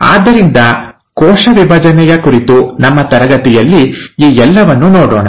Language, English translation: Kannada, So we’ll look at all this in our class on cell division